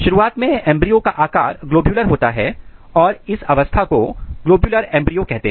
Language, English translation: Hindi, At this stage if you look the shape of embryo, it looks like globular and this stage is called globular embryo